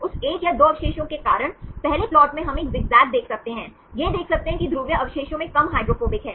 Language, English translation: Hindi, Because of that one or 2 residues, in the first plot we can see a zigzag, look at that polar residues has less hydrophobic is down